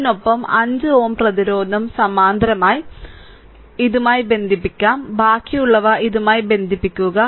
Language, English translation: Malayalam, And with this 5 ohm resistance will be in parallel 5 ohm resistance will be in rest you connect with this right, rest you connect with this